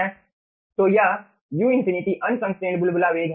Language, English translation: Hindi, right, so this u infinity is the unconstraint bubble velocity